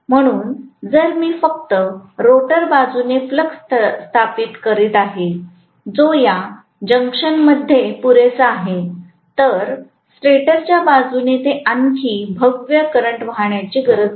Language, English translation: Marathi, So, if I am establishing the flux only from the rotor side, which is sufficient enough at this juncture, it does not have to draw anymore magnetising current from the stator side